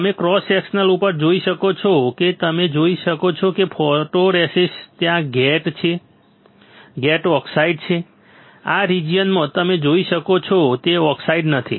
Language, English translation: Gujarati, You can see on the cross section you can see a photoresist is there, , the gate oxide is there, there is no oxide you see in this region